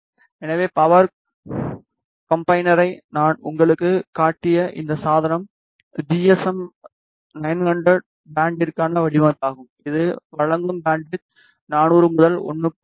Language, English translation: Tamil, So, this device that I showed you power combiner is design for GSM 900 band the bandwidth that it provides is from 400 to 1